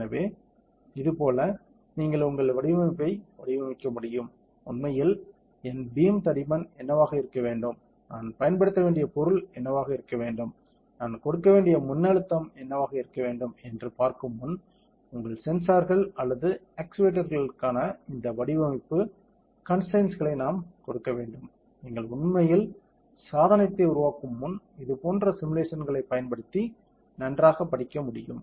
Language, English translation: Tamil, So, like this you can engineer your design, before actually making it to see that what should be the thickness of my beam, what should be the material that I should use, what should be the voltage that I should give, what should be the type of cooling that should I give all these design constraints for your sensors or actuators can be very well studied using such simulations before you actually make the device